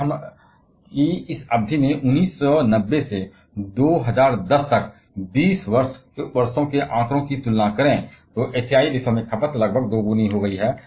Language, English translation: Hindi, If we compare the figures say from 1990 to 2010 over this period of 20 years, the consumption in the Asian countries has become nearly double